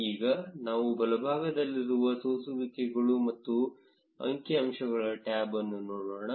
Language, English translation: Kannada, Now, let us look at the filters and statistics tab on the right